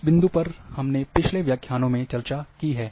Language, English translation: Hindi, This point we have discussed in previous lectures